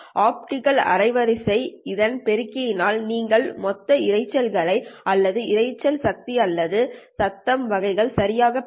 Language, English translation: Tamil, If you multiply this one by the optical bandwidth BOP, you are going to get the total noise component, right, or the noise power or the noise variance, right